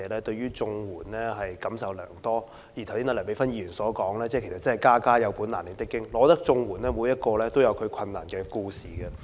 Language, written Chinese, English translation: Cantonese, 正如剛才梁美芬議員所說，其實真的"家家有本難唸的經"，我覺得每宗綜援個案都有其困難的故事。, As Dr Priscilla LEUNG said just now actually each family has its own problems . I think each CSSA case has its own story of hardship